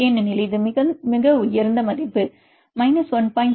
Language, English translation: Tamil, 7 because this is a highest value, put 1